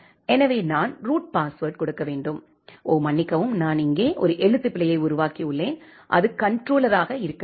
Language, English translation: Tamil, So, I have to give the root password oh sorry I have made a typo here it should be controller ok